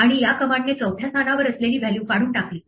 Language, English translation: Marathi, And so it has actually deleted the value at the fourth position